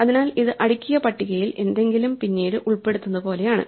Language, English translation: Malayalam, So, it is exactly like inserting something into a sorted list